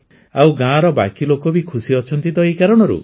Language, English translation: Odia, And the rest of the people of the village are also happy because of this